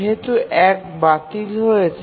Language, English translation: Bengali, So 1 is ruled out